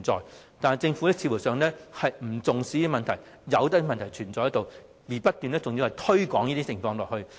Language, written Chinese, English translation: Cantonese, 然而，政府似乎不重視，任由問題存在，還要不斷令這些情況惡化。, These problem do exist in reality . But the Government seems to have ignored them and allows the problems to continue and deteriorate